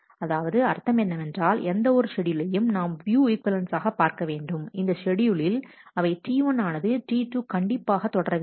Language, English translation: Tamil, So, that means, that whatever schedule we look for in terms of view equivalence, they must have in that schedule T 1 must follow T 2